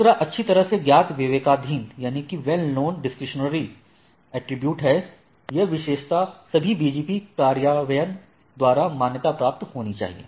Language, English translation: Hindi, This is a well known and mandatory well known discretionary, that is the attribute must be recognized by all BGP implementation